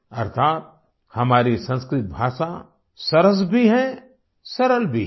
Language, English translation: Hindi, That is, our Sanskrit language is sweet and also simple